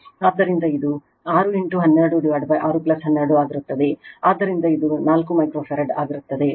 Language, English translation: Kannada, So, it will be 6 into 12 by 6 plus 12 right, so this will be 4 microfarad